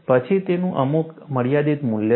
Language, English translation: Gujarati, Then, it has some finite value